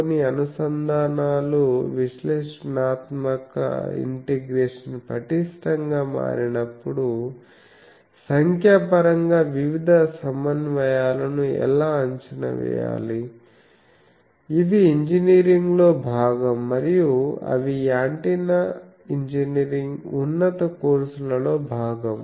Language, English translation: Telugu, Like, some integrations how to evaluate that numerically how to evaluate various integrations when analytic integration becomes tougher, those are part of engineering and those are part of antenna engineering higher courses